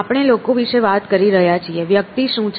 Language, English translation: Gujarati, So, we are talking about people, what is the person